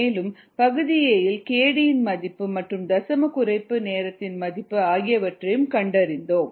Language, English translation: Tamil, and also we found in part a the value of k d and the value of the decimal reduction time